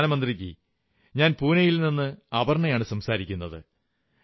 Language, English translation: Malayalam, "Pradhan Mantri ji, I am Aparna from Pune